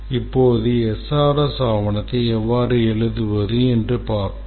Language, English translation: Tamil, Now let's see how to write the SRS document